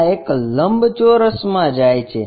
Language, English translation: Gujarati, This one goes to a rectangle